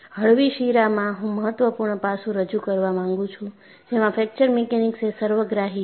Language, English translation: Gujarati, And you know, in a lighter vein, I would like to introduce the important aspect that fracture mechanics is holistic